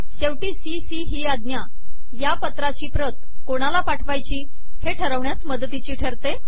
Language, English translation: Marathi, Finally, the command cc helps mark this letter to other recipients